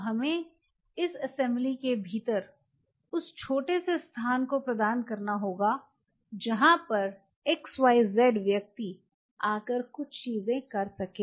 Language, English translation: Hindi, So, we have to provide that small knish within this assembly where that xyz individual can come and do certain things